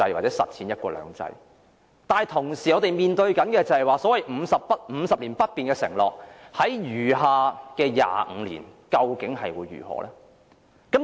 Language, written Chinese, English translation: Cantonese, 但是，我們同時面對所謂50年不變的承諾在餘下的25年，究竟會如何呢？, In the remaining 25 years however what will happen to the so - called commitment―a commitment we face at the same time―that things remain unchanged for 50 years?